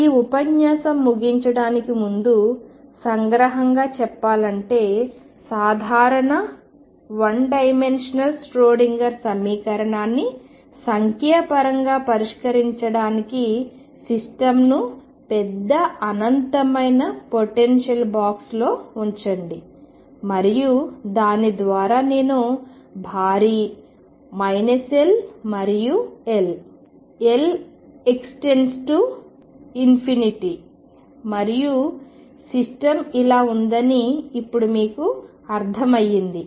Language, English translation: Telugu, So, to conclude this lecture, to solve a general 1 D Schrodinger equation numerically put the system in large infinite potential box and by that you understand now that I am going to box which is huge minus L and L, L tending to infinity and system is somewhere here